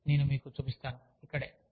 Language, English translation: Telugu, So, let me show this, to you